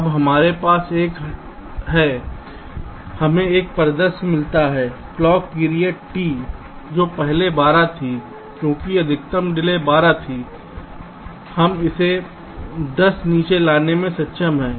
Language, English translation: Hindi, we get a scenario that the clock period t, which was earlier twelve, because the maximum delay was twelve, we have been able to bring it down to ten